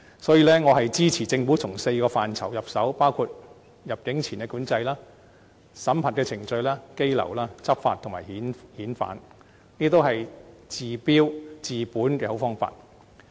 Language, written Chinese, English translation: Cantonese, 所以，我支持政府從4個範疇入手，包括入境前管制、審核程序、羈留、執法及遣返方面，這些都是治標又治本的好方法。, Therefore I support the Governments moves in four areas namely pre - entry control vetting and approval procedures detention law enforcement and repatriation . All these can bring about stop - gap and ultimate solutions to the problems